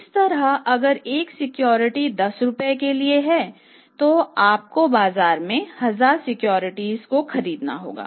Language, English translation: Hindi, For example, similarly if the one security is for 10 rupees then same way you have to buy 1,000 securities from the market